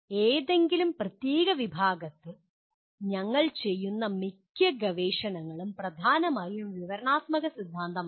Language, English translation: Malayalam, Most of the research that we do in any particular discipline is dominantly descriptive theory